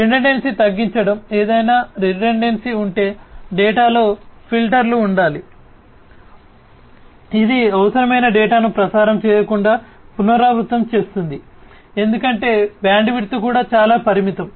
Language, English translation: Telugu, Redundancy mitigation is you know if there is any redundancy in the data there has to be filters in place which will in remove the repetition of such kind of unnecessary data from being transmitted, because the bandwidth is also very limited